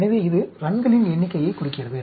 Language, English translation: Tamil, So, this indicates the number of runs